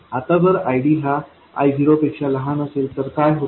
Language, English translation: Marathi, So, ID is smaller than I 0